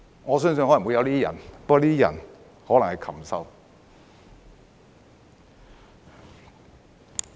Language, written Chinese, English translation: Cantonese, 我相信可能有這樣的人，不過這些人可能是禽獸。, I believe there may be such people but they are probably brute beasts